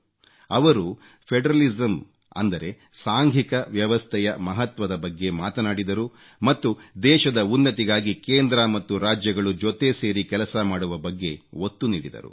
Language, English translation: Kannada, He had talked about the importance of federalism, federal system and stressed on Center and states working together for the upliftment of the country